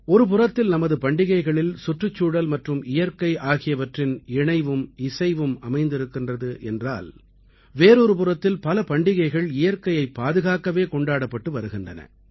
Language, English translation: Tamil, On the one hand, our festivals implicitly convey the message of coexistence with the environment and nature; on the other, many festivals are celebrated precisely for protecting nature